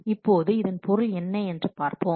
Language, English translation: Tamil, So, now let's say what is meant by this